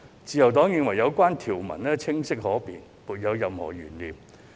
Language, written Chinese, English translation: Cantonese, 自由黨認為有關條文清晰可辨，沒有任何懸念。, The Liberal Party considers the clauses clear and definite without any doubt